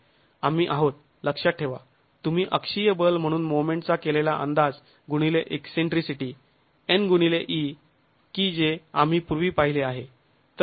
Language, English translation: Marathi, We are, mind you, using the estimate of moment as axial force into the eccentricity, n into e that we have seen earlier